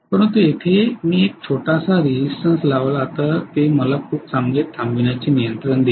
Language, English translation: Marathi, But here also if I put a small resistance it will give me a very good stopping control right